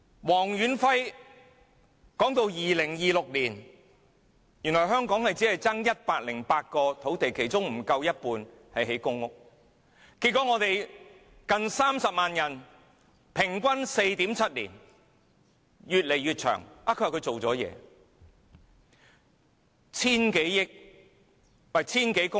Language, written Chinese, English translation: Cantonese, 黃遠輝說，香港到了2026年只欠缺108公頃土地，其中不足一半用來興建公屋，結果近30萬人需要輪候平均 4.7 年，時間越來越長，但特首說她有做工作。, According to Stanley WONG up to 2026 Hong Kong will only face a shortfall of 108 hectares . Only half of these sites are used for public housing construction so almost 300 000 people must wait 4.7 years on average . But the Chief Executive still claims that she has made efforts